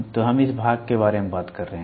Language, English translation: Hindi, So, we are talking about this part